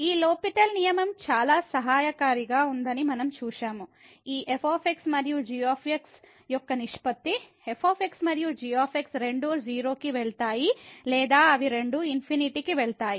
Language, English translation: Telugu, There what we have seen that this L’Hospital rule was very helpful which says that the ratio of this and where and both either goes to 0 or they both go to infinity